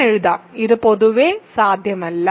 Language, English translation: Malayalam, I will write, this is not possible in general